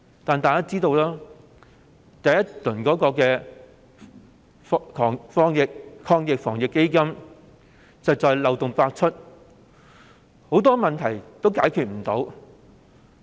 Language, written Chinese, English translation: Cantonese, 但是，一如大家所知，第一輪防疫抗疫基金計劃漏洞百出，很多問題都解決不了。, Yet as we all know the Subsidy Schemes under the first round of the Anti - epidemic Fund are fraught with loopholes and a lot of problems remain unresolved